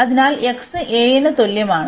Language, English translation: Malayalam, So, x is equal to a